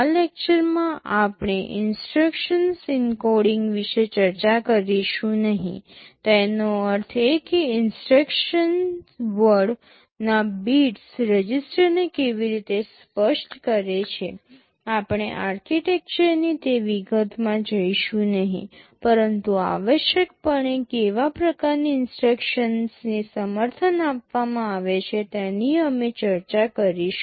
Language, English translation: Gujarati, In these lectures we shall not be discussing about the instruction encoding; that means, exactly how the bits of the instruction word specify the registers; we shall not be going into that detail of the architecture, but essentially what kind of instructions are supported those we shall be discussing